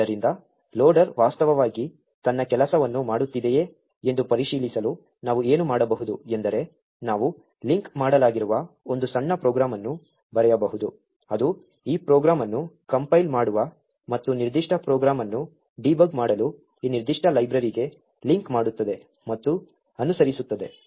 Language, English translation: Kannada, So, in order to check whether the loader is actually doing its job what we can do is we can write a small program which is linked, which will link to this particular library that will compile that program and use GDB to debug that particular program as follows